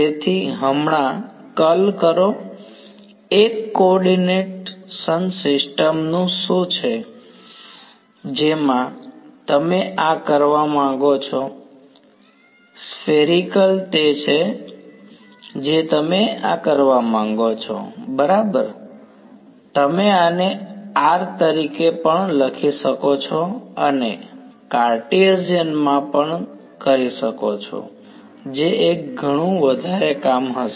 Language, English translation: Gujarati, So, curl of a now, what is a coordinate system in which you would want to do this, spherical is what you would want to do this in right you could as also write this as r as square root x square plus y square plus z square and do it in Cartesian that would be a lot more work